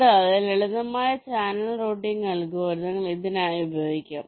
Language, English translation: Malayalam, and simple channel routing algorithms can be used for this